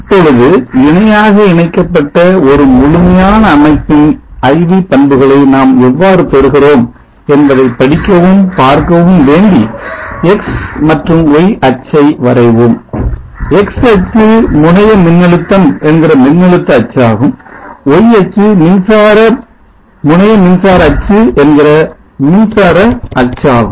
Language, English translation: Tamil, (Now in order to study and see how we can get the Iv characteristic of the entire parallel connected system let us draw the x and y axis, x axis is the voltage axis the terminal voltage I axis is the current which is terminal current axis